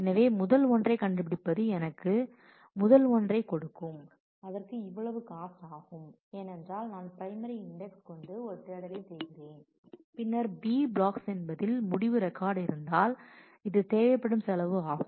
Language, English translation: Tamil, So, finding the first one will give me finding the first one will give will take this cost because I am doing a search on the primary index and then if there are b blocks containing the result records then this is the cost that will need